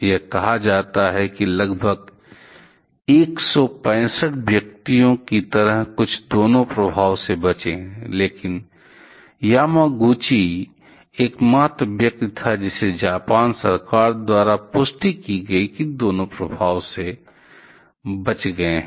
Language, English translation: Hindi, It is said that something like about 165 persons; so, where this double at a survivor kind of thing, but Yamaguchi was the only person who was confirmed by the government of Japan to have survived both the effects